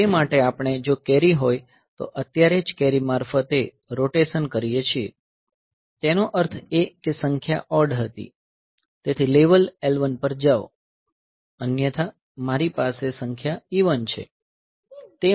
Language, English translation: Gujarati, So, for that we do a rotate right through carry now if there is a carry; that means, the number was odd, so jump on carry to level L 1 and the otherwise I have to the number is even